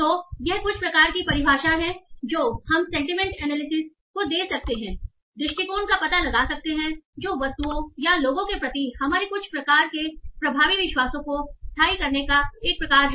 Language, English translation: Hindi, So this is some sort of definition we can give that sentiment analysis is the detection of attitudes that is some sort of enduring or some sort of effectively colored beliefs towards objects or person